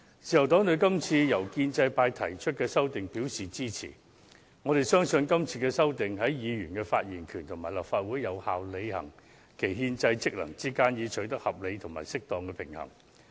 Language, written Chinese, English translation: Cantonese, 自由黨對於今次由建制派提出的修訂表示支持，是因為我們相信今次的修訂，已在保障議員發言權及立法會有效履行其憲制職能之間，取得合理而適當的平衡。, The Liberal Party supports the amending motions currently moved by the pro - establishment Members as we trust that in proposing such amendments they have struck a reasonable and appropriate balance between safeguarding Members right of speech and enabling them to perform their functions effectively